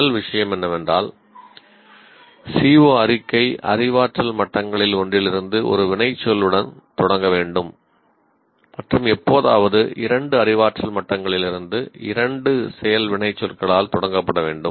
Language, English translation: Tamil, First thing as we said, CO statement should start with an action work from one of the cognitive levels and occasionally by two action works from two cognitive levels